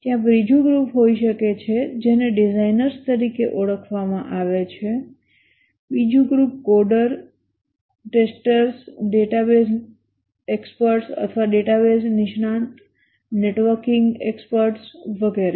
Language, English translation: Gujarati, There may be another group called as designers, another group as coders, testers, database experts, networking experts, and so on